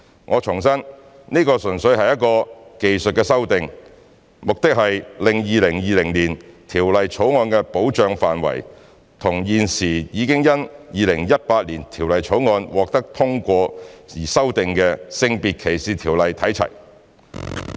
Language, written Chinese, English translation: Cantonese, 我重申，這純粹是一項技術修訂，目的是令《條例草案》的保障範圍與現時已因《2018年條例草案》獲通過而已經修訂的《性別歧視條例》看齊。, I have to reiterate that this is purely a technical amendment which seeks to align the scope of protection of the Bill with that of the prevailing SDO as amended by virtue of the passage of the 2018 Bill